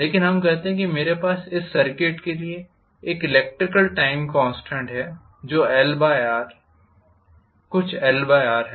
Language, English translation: Hindi, But let us say I have a time constant electrical time constant for this circuit which is L by R, some L by R